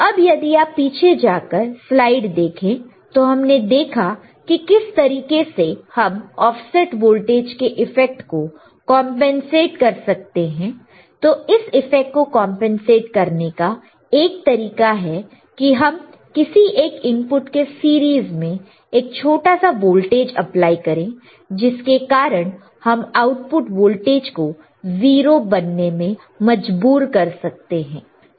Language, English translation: Hindi, Now, if you go back to the slide what we see that how we can compensate the effect of offset voltage, to do that other way one way to compensate this for the effect due to the offset voltage is by applying small voltage in series by applying small voltages in series with one of the inputs to force the output voltage to become 0 right